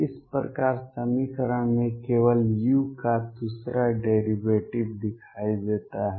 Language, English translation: Hindi, So, that only the second derivative of u appears in the equation